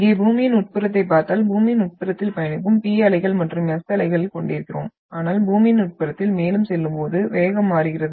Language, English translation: Tamil, So here if you look at the interior of Earth, we are having the P waves and the S waves which are travelling into the interior of the Earth but the velocity changes as you move further into the interior of Earth